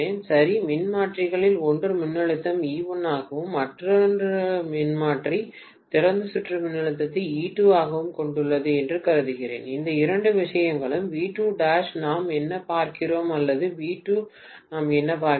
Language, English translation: Tamil, Okay So, I am assuming that one of the transformers has the voltage as E1, the other transformer has the open circuit voltage as E2, both these things are V2 dash what we are looking at or V2 what we are looking at